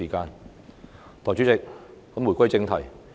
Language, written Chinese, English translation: Cantonese, 代理主席，言歸正題。, Deputy Chairman I return to the subject under discussion